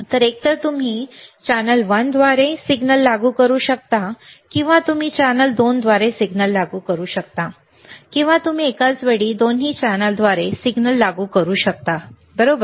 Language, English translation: Marathi, So, either you can apply signal through channel one, or you can apply signal through channel 2, or you can apply signal through both channels simultaneously, right